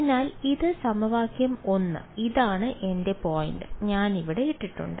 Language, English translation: Malayalam, So, this is equation 1 this is my and my point here r prime I have put over here